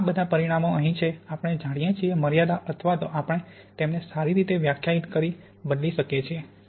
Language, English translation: Gujarati, And all of these parameters here, either we know or we can let them vary within well defined limit